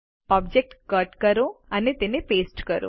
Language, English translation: Gujarati, Cut an object and paste it